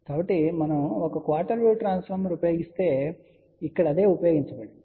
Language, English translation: Telugu, So, if we use one quarter wave transformer, so this is what is being used over here